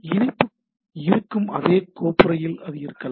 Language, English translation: Tamil, So, it can be in the same folder the link is there